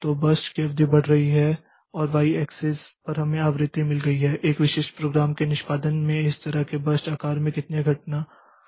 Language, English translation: Hindi, So, burst durations are increasing and then on the y axis we have got the frequency like in a typical program execution how many how many occurrences of such burst sizes are there